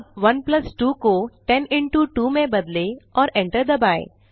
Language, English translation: Hindi, Now change 1 plus 2 to 10 into 2 and press enter